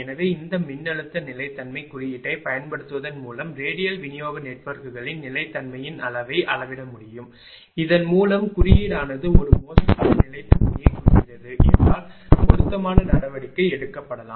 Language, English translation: Tamil, So, by using this voltage stability index one can measure the level of stability of radial distribution networks and thereby appropriate action may be taken if the index indicates a poor level of stability